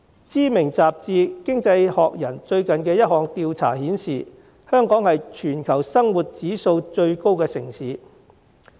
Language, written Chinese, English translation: Cantonese, 知名雜誌《經濟學人》最近一項調查顯示，香港是全球生活指數最高的城市。, A recent survey of the Economist a renowned magazine has revealed that Hong Kong is the most expensive city in the world